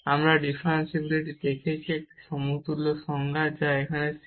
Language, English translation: Bengali, And that is precisely the definition of the differentiability